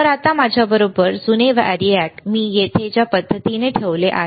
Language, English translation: Marathi, So, old variac with me now, the way I have placed here